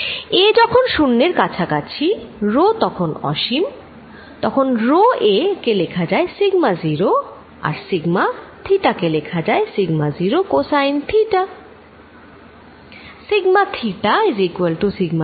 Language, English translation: Bengali, In the limit of a going to 0 and rho going to infinity, such that rho a goes to some sigma 0 I can write sigma theta as sigma 0 cosine of theta